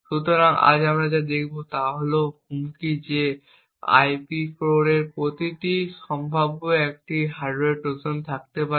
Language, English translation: Bengali, So, what we will be looking at today is the threat that each of these IP cores could potentially have a hardware Trojan present in them